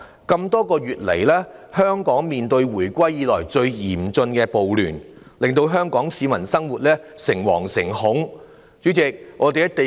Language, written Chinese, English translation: Cantonese, 這麼多個月來，香港面對自回歸以來最嚴峻的暴亂，令香港市民生活在誠惶誠恐之中。, Over the past few months Hong Kong has run into the most severe riots since the reunification causing the people of Hong Kong to live in fears